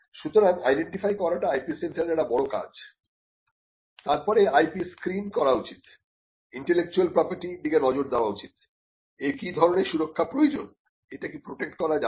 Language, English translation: Bengali, So, identifying is something that the IP centre needs to do, then the IP centre needs to screen the IP, look at the intellectual property, what kind of protection is required for it, whether it can be protected, what is the best way to do it